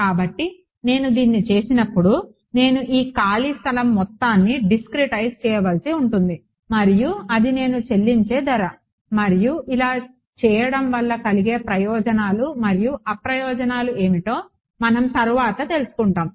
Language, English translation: Telugu, So, when I do this I have I have to discretize all of this free space region and that is a price I pay and we will come later on what are the advantages and disadvantages of doing